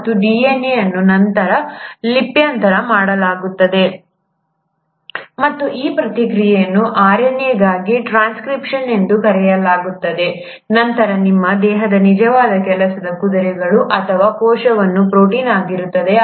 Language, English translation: Kannada, And this DNA is then transcribed and this process is called as transcription into RNA, followed by the actual work horses of your body or a cell, which is the protein